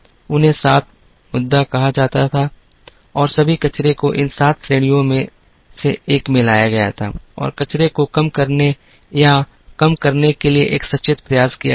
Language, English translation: Hindi, They are called the seven Muda and all the wastes were brought into one of these seven categories and there was a conscious effort to bring down or to reduce the wastes